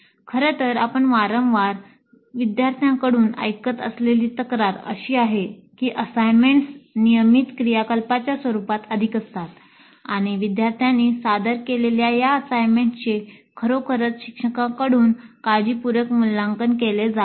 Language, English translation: Marathi, In fact, a complaint that we often hear from students is that the assignments are more in the nature of a routine activity and these assignments submitted by the students are not really evaluated carefully by the instructors